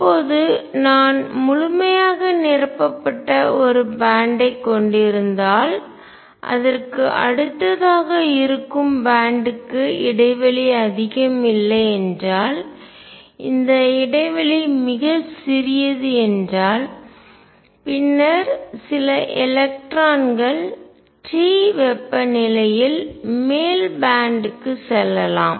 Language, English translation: Tamil, Now, if I have a band which is fully filled, and next band which is close to it band gap is not much, this gap is very small then some electrons can move to the upper band at temperature t